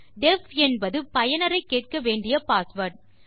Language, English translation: Tamil, def is the password we want to ask the user for